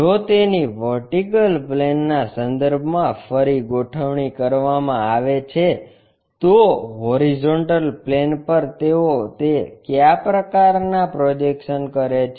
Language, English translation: Gujarati, If they are reoriented with respect to the vertical plane, horizontal plane what kind of projections do they make